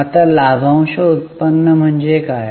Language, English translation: Marathi, Now what do you mean by dividend yield